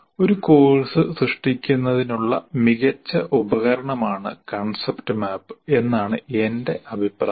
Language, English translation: Malayalam, In my personal opinion, concept map is a great thing to create for a course